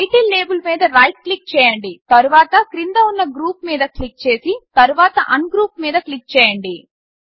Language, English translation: Telugu, Right click on the Title label and then click on Group at the bottom then click on Ungroup